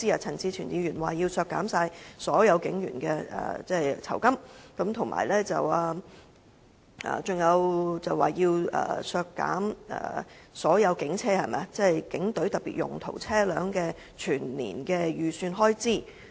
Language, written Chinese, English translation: Cantonese, 陳志全議員提出要削減所有警員的酬金，還說要削減所有警隊特別用途車輛全年的預算開支。, Mr CHAN Chi - chuen proposes to cut the remuneration of all police officers and he has even said that the estimated annual expenditure for all specialized vehicles in HKPF should also be cut